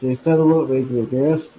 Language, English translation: Marathi, These will all be different